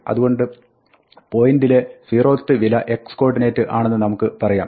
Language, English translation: Malayalam, So, we can say that the 0th value in point is the x coordinate